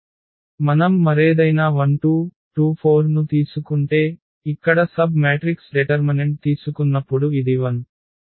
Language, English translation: Telugu, We take any other 1 2, 2 4, one more submatrix here also this is 0 when we take the determinant